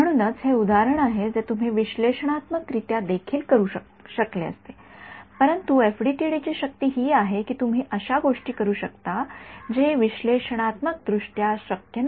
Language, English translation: Marathi, So, this is the example which you could have done analytically also right, but the power of the FDTD is that you can do things which are analytically not possible